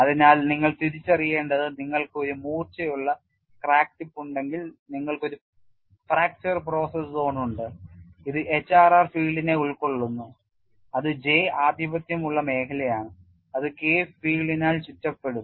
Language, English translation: Malayalam, So, what you will have to recognize is you have a blunted crack tip, then you have a fracture process zone this is engulfed by HRR field, which is J dominated zone which would be surrounded by K field and then you have a general stress field